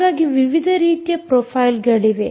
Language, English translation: Kannada, so there were different types of profiles